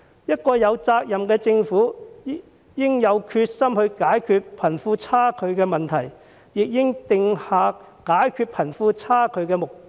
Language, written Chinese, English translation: Cantonese, 一個有責任的政府應有決心解決貧富差距的問題，亦應訂下解決貧富差距的目標。, A responsible government should be determined to resolve the problem of wealth disparity and should set the objective of resolving it